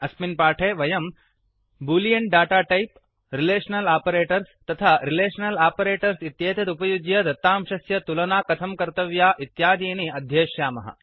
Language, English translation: Sanskrit, In this tutorial, we will learn about the boolean data type, Relational operators and how to compare data using Relational operators